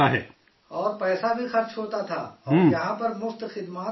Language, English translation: Urdu, And money was also wasted and here all services are being done free of cost